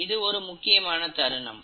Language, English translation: Tamil, Now this is a crucial point